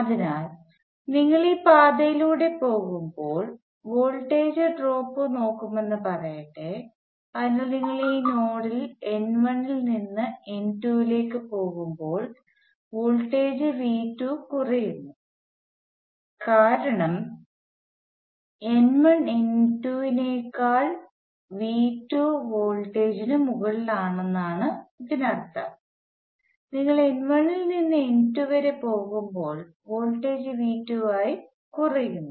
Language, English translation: Malayalam, So let us say you look at the voltage fall as you go down this path, so when you go from let me call this node n 1 to node n 2 the voltage falls by V 2, because n 1 is higher than n 2 by V 2 so that means, that when you go from n 1 to n 2 the voltage falls by V 2